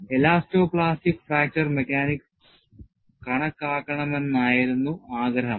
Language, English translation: Malayalam, And the desire was, to account for elasto plastic fracture mechanics